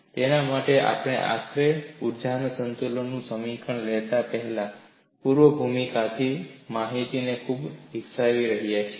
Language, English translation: Gujarati, For that, we develop so much of background information, before we finally take up the energy balance equation